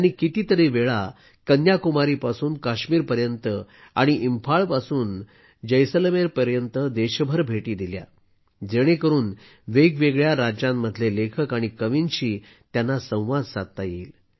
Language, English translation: Marathi, She travelled across the country several times, from Kanyakumari to Kashmir and from Imphal to Jaisalmer, so that she could interview writers and poets from different states